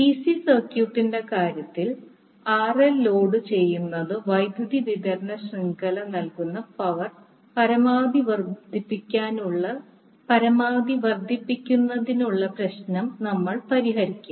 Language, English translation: Malayalam, So, in case of DC circuit we solve the problem of maximizing the power delivered by the power supplying network to load RL